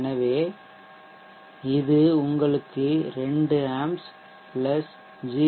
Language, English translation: Tamil, So this will give you 2amps + 0